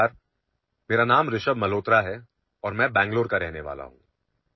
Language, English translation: Marathi, Hello, my name is Rishabh Malhotra and I am from Bengaluru